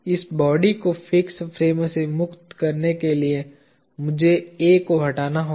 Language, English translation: Hindi, In order to make this body free from the fixed frame, I need to remove A